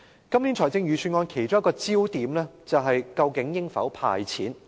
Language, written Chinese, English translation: Cantonese, 今年預算案的其中一個焦點是究竟應否"派錢"。, One of the focuses of this Budget is whether or not a cash handout should be offered